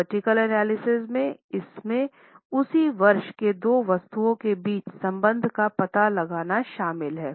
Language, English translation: Hindi, In vertical analysis this involves finding out the relationship between two items in respect of the same year